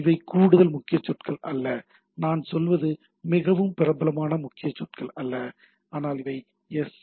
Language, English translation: Tamil, So, these are extra key words not that what we say not so popular keywords, but these are the things which are also allowed in the SMTP